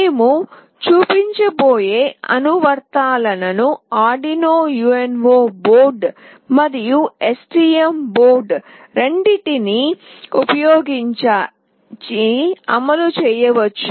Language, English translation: Telugu, The applications that we will be showing can be run using both Arduino UNO board as well as STM board